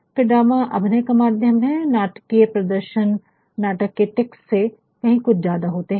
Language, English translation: Hindi, And, then drama is a mode of performance, a dramatic performance is fairly more than a reflection of the dramatic text